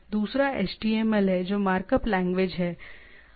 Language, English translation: Hindi, And along with HTML which is the markup languages